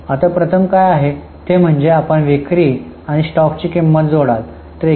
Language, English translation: Marathi, Now, what is first done is you will add sales and the selling price of stock